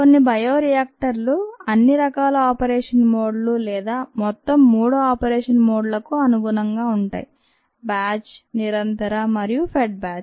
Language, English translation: Telugu, some bioreactors lend themselves to all kinds of operation modes, or all the three operation modes: batch, continuous and fed batch, where, as ah